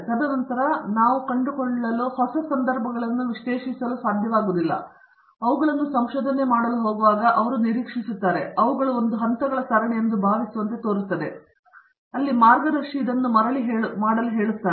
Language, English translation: Kannada, And then what we find out is they are not able to analyze new situations or when we have them to do research, they expect or they seem to feel that it would be a series of steps, where the guide tells them to do this and they come back